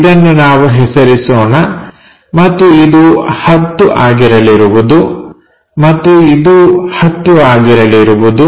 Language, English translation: Kannada, So, this will be 80 units, let us name it and this will be 10 and this will be 10